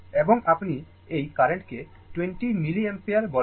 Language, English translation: Bengali, And you are what you call this this current 20 milliampere